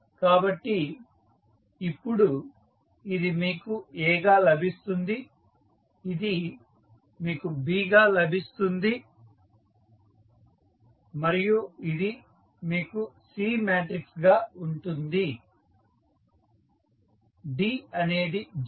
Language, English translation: Telugu, So, now this you will get as A, this you will get as B and this is what you have as C matrices, D is of course 0